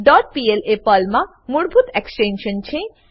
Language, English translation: Gujarati, dot pl is the default extension of a Perl file